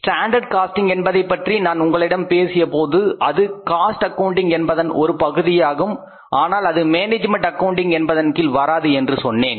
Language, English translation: Tamil, When I talk to you about the standard costing, standard costing is the part of the cost accounting not of the management accounting